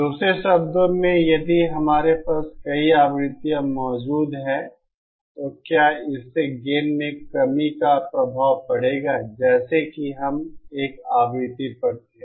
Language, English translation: Hindi, In other words, if we have multiple frequencies present, will that also have an effect on gain reduction like we had at a single frequently